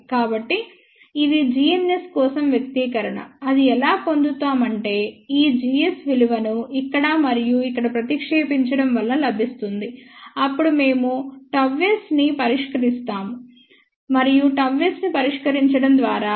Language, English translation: Telugu, So, this was the expression for g ns which was further obtained by substituting this value of g s over here and here, then we have to solve gamma S and by solving gamma S